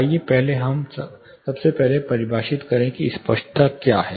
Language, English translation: Hindi, Let us first define what is clarity